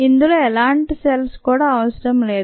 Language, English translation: Telugu, this need not even contain any cells